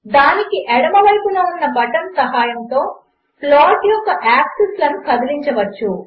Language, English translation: Telugu, The button to the left of it can be used to move the axes of the plot